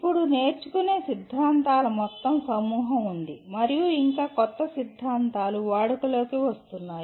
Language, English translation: Telugu, Now there are a whole bunch of learning theories and still newer theories are coming into vogue